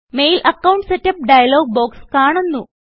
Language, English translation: Malayalam, The Mail Account Setup dialogue box opens